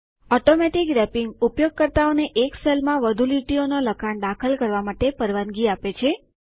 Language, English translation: Gujarati, Automatic Wrapping allows a user to enter multiple lines of text into a single cell